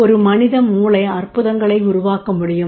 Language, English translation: Tamil, A human brain can create a miracles